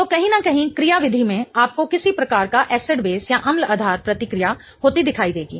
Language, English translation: Hindi, So, somewhere in the mechanism you will see some kind of acid based reaction happening